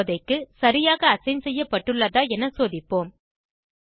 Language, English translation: Tamil, For now, lets check whether the assignment is done properly